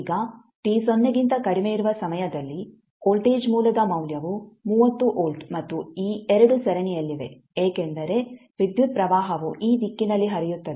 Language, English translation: Kannada, Now, at time t less than 0 the value of voltage source is 30 volt and these 2 are in series because the current will flow through these direction